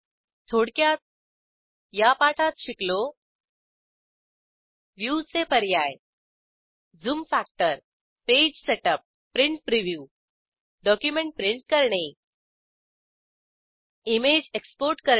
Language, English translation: Marathi, In this tutorial we have learnt about View options Zoom factor Page setup Print Preview Print a document and Export an image